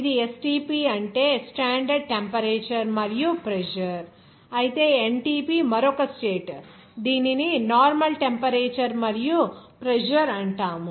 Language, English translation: Telugu, This is STP means standard temperature and pressure, whereas NTP is another condition it is called normal temperature and pressure